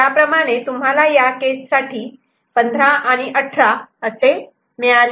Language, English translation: Marathi, So, that way you are getting 15 and 18 for these cases